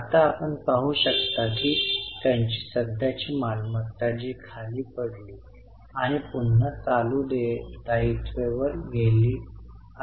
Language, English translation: Marathi, Now you can see that their current assets which actually went down and again have gone up